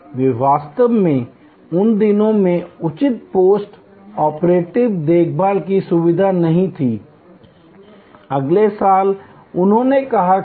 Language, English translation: Hindi, They actually in those days did not have proper post operative care facilities, next year they added that